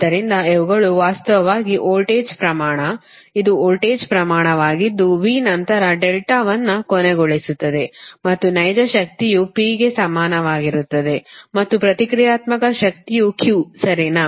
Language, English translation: Kannada, this is voltage magnitude, that v, then phase angle, your delta and real power is equal to p and reactive power is q, right